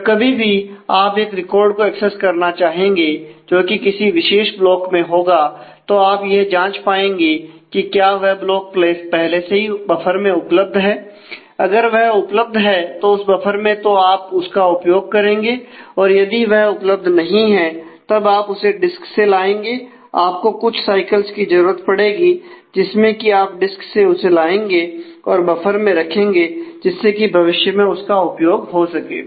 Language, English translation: Hindi, So, whenever you want to actually access a record which should be in a particular block; you check whether that block is already available in the buffer; if it is available in the buffer it use that if it is not available in the buffer, then you take it from the disk you will need quite a bit of cycles for that and as you get that from the disk then you keep a copy in the buffer so that it can be used in future